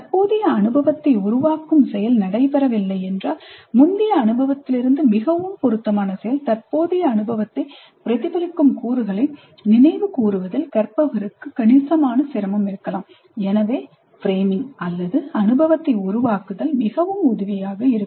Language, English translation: Tamil, If there is no framing of the current experience, learner may have considerable difficulty in recalling elements from the previous experience that are most relevant and most helpful in reflecting on the current experience